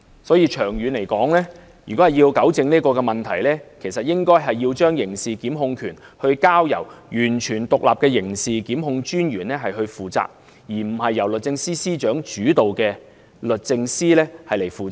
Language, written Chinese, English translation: Cantonese, 所以，長遠而言，為糾正這問題，應該將刑事檢控權交由完全獨立的刑事檢控專員負責，而不是由律政司司長主導的律政司負責。, In order to correct the problem the responsibility of carrying out criminal prosecutions should hence be rested with a fully independent Director of Public Prosecutions in the long run rather than DoJ which is steered by the Secretary for Justice